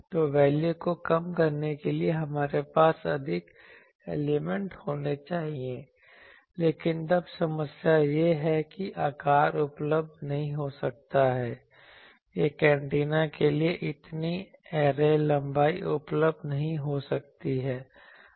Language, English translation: Hindi, So, we will have to have more elements to decrease the value, but then the problem is that size may not be available so much array length may not be available for an antenna